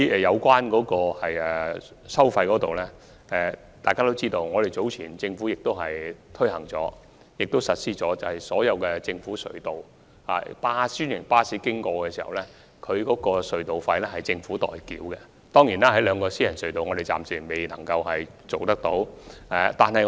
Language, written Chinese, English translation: Cantonese, 在收費方面，大家皆知道，政府早前實施了一項安排，便是專營巴士使用政府隧道所需的隧道費可獲政府豁免，但這安排暫時並未涵蓋兩條私營隧道。, When it comes to the charging of tolls Members must be aware of an arrangement implemented by the Government earlier . The arrangement is that the Government exempts the tolls for franchised buses using the government tunnels but the two private tunnels are not covered at the time being